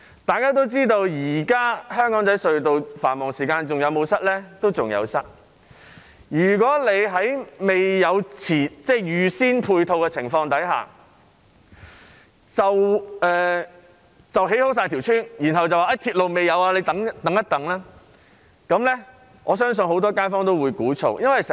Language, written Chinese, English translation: Cantonese, 大家也知道，現時香港仔隧道在繁忙時間仍然塞車，如果在沒有預先安排配套的情況下，先建成屋邨，而未有鐵路，只叫市民等待，我相信很多街坊都會鼓噪。, The population of the whole district will be doubled . Everyone knows that the Aberdeen Tunnel is still congested during peak hours . If new housing estates are built first without prearranged supporting facilities and railway service and the public are only be asked to wait I believe many residents there will clamour